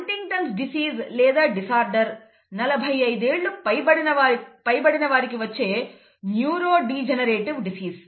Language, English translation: Telugu, By the way HuntingtonÕs disease or a disorder is a neurodegenerative disease that sets in after 45, okay